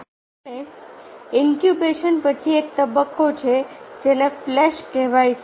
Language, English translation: Gujarati, and following the incubation, there is a stage called illumination